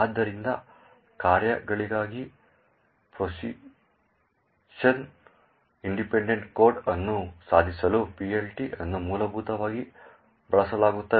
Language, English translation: Kannada, So, PLT is essentially used to achieve a Position Independent Code for functions